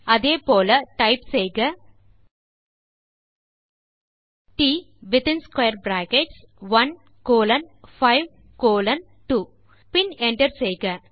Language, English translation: Tamil, Similarly type t within square brackets 1 colon 5 colon 2 and hit Enter